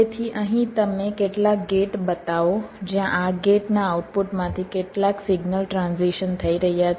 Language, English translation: Gujarati, so here you show some gates where some signal transitions are taking place